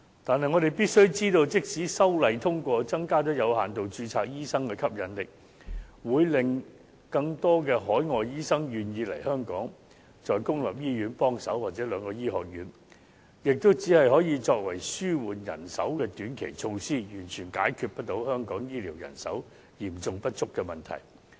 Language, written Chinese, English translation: Cantonese, 但是，我們必須知道，即使通過修訂條例草案，有限度註冊醫生的吸引力增加，會令更多海外醫生願意來港在公立醫院或兩間醫學院提供協助，但這只可作為紓緩人手的短期措施，完全不能解決香港醫療人手嚴重不足的問題。, It has indeed won a lot of applause . However we have got to know that even if the passage of the Amendment Bill can enhance the attractiveness of working as doctors with limited registration thus making more overseas doctors willing to come to Hong Kong to offer assistance in the public hospitals or the two medical schools this can only serve as a short - term measure of relieving the manpower shortage . It cannot resolve the serious lack of health care personnel in Hong Kong at all